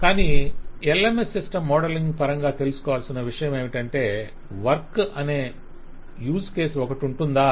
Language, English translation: Telugu, But the question is, in terms of modeling the LMS system, do we expect to see use case called work